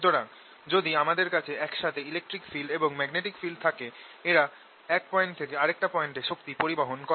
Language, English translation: Bengali, so if i have magnetic and electric field together, they transport energy from one point to the other